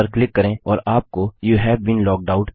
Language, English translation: Hindi, Click on this and you get Youve been logged out